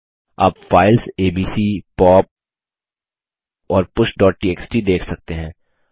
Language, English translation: Hindi, You can see the files abc, pop and push.txt